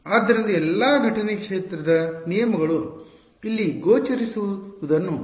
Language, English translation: Kannada, So, you can see all the incident field terms are going to appear here